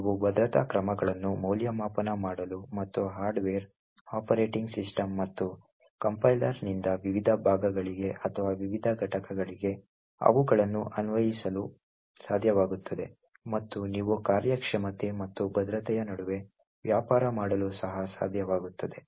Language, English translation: Kannada, You would be able to evaluate security measures and apply them to various parts or various components from the hardware, operating system and the compiler and also you would be able to trade off between the performance and security